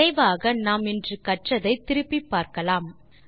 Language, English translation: Tamil, Lets revise quickly what we have learnt today